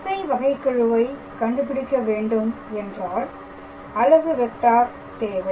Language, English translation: Tamil, Now, in order to calculate the directional derivative we need the unit vector